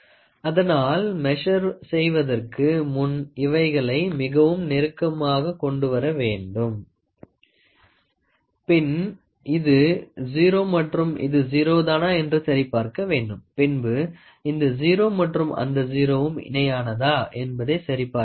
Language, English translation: Tamil, So, before you start measuring, you are supposed to bring this too close to each other, try to see whether this 0 and this 0, so, whether this 0 this 0 matches